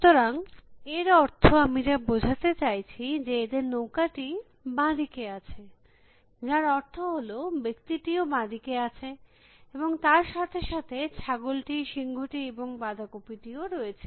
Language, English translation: Bengali, So, what I mean by this is, their boat is on left hand side and which means the man is also on the left hand side and along with the man, there is the goat and the lion and the cabbage all of them